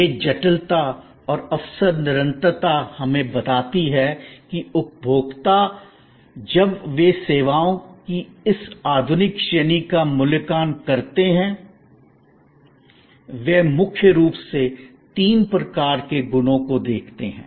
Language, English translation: Hindi, This complexity and opportunity continuum tell us that consumer, when they evaluate this modern range of services; they primarily look at three types of qualities